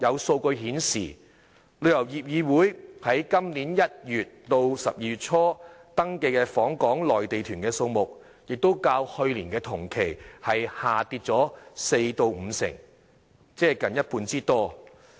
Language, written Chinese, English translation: Cantonese, 數據顯示，旅遊業議會在今年1月至12月初所登記的訪港內地團數目較去年同期下跌四成至五成，即近一半之多。, According to figures the number of Mainland tour groups visiting Hong Kong from January to early December this year as registered by the Travel Industry Council decreased by some 40 % to 50 % year on year that is almost by half